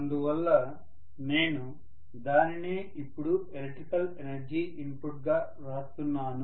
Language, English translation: Telugu, So I am writing the same thing now as the electrical energy input